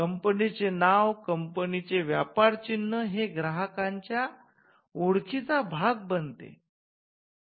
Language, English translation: Marathi, So, the brand, the trade mark becomes a source of identity for the customer